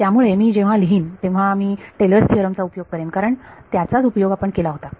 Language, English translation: Marathi, So, when I write I will use Taylor’s theorem, because that is what we used